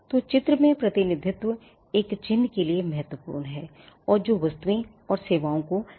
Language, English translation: Hindi, So, graphical representation is key for a mark and which is capable of distinguishing goods and services